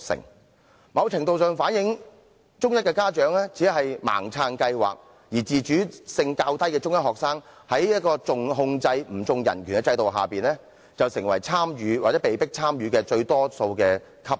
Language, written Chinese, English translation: Cantonese, 這情況某程度上反映中一家長只是盲目支持計劃，而且中一學生自主能力較低，在"重控制不重人權"的制度下，便成為參與或被迫參與最多的級別。, It to a certain degree reflects that parents of Form One students blindly supported the scheme . While Form One students are less autonomous under the system of emphasizing control over human rights they have become the form with the most participation or forced participation